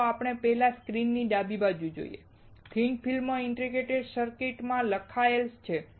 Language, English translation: Gujarati, First let us see the left side of the screen and that is written thin film integrated circuit